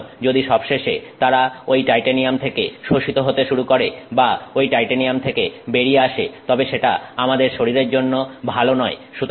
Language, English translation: Bengali, So, if eventually they start leaching out of that titanium or coming off the titanium, it is not good for our body